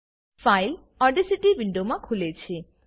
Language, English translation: Gujarati, The file opens in the Audacity window